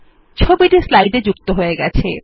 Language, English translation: Bengali, The picture gets inserted into the slide